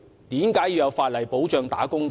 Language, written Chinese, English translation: Cantonese, 為何要有法例保障"打工仔"？, Why do we need legislation to safeguard wage earners?